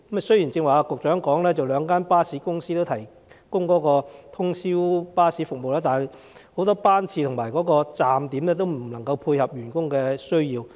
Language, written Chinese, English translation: Cantonese, 雖然局長剛才表示，兩間巴士公司皆有提供通宵巴士服務，但很多班次和站點無法配合員工的需要。, A moment ago the Secretary asserted that the two bus companies already offered overnight bus services . However their service frequencies and also midway stop locations are unable to meet employees needs